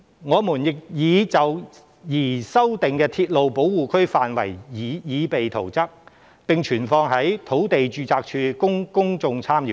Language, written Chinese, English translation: Cantonese, 我們亦已就擬修訂的鐵路保護區範圍擬備圖則，並存放在土地註冊處供公眾參閱。, We have prepared a set of new plans for the proposed revisions of the railway protection areas . The plans have been deposited in the Land Registry for public inspection